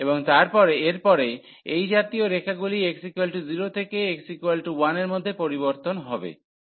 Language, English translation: Bengali, So, and then such lines will vary from x is equal to 0 to x is equal to 1